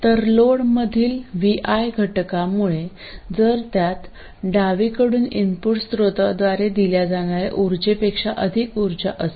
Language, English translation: Marathi, So, the component due to VI in the load, if it has more power than what is being fed from the left side, what is being delivered by the input source